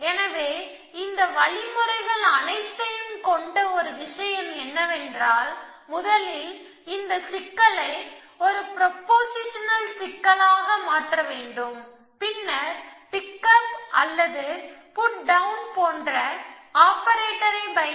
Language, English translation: Tamil, So, one thing with all these algorithms do is to first convert this problem into a proportional problem which means, then if I will operator like a pick up a put down